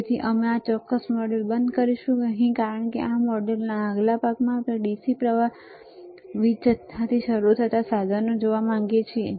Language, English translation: Gujarati, So, we will stop the this particular module, right; Over here because in next set of modules, we want to see the equipment starting from the DC power supply